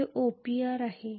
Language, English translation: Marathi, Which is OPR